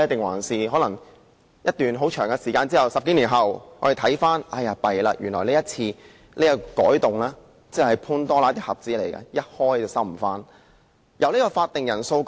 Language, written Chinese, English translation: Cantonese, 還是經過一段漫長歲月，當我們在10多年後回首才發現原來這次提出的修訂是"潘朵拉的盒子"，一打開了便無法關上？, Or will we find that the amendments proposed this time around are tantamount to opening Pandoras box which cannot be closed once opened when we look back at this after more than a decade?